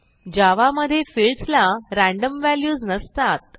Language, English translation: Marathi, In Java, the fields cannot have random values